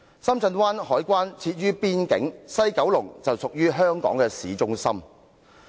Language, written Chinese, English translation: Cantonese, 深圳灣海關設於邊境，西九龍則位處香港的市中心。, At Shenzhen Bay clearance facilities are set up at the border area but those at West Kowloon Station are located in the town centre